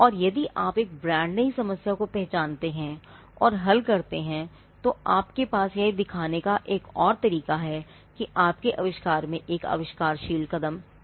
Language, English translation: Hindi, Because and if you identify and solve a brand new problem, again that is yet another way to show that your invention involves an inventive step